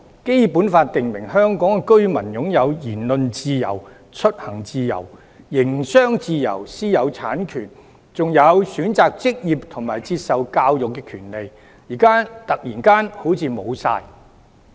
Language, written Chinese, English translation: Cantonese, 《基本法》訂明香港居民擁有言論自由、出行自由、營商自由、私有產權，還有選擇職業及接受教育的權利，現在突然好像全都消失。, The Basic Law provides that Hong Kong residents have freedom of speech freedom to travel freedom to do business and the right of private ownership of property; and they also have freedom of choice of occupation and education . All these forms of freedom seem to have suddenly disappeared